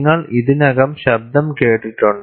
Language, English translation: Malayalam, You have already heard the sound